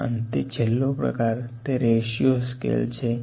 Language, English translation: Gujarati, And next to that the final kind of scale is the ratio scale